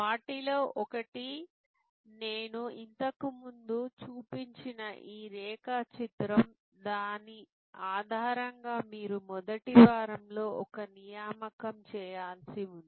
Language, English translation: Telugu, One of them is this diagram that I had shown before, which is on the basis of which you are supposed to do an assignment in week one